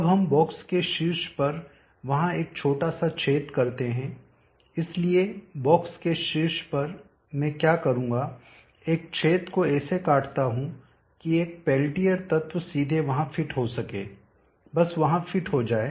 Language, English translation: Hindi, Now let us make small opening there on the top of the box, so the top of the box what I will do is, cut open an opening such that a peltier element can directly just fit in there